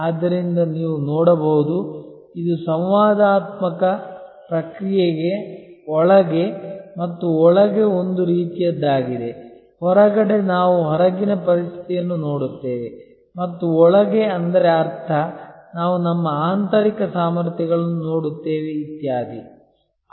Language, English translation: Kannada, So, you can see therefore, it is kind of an outside in and inside out interactive process, outside in means we look at outside situation and inside out means, we look at our internal competencies, etc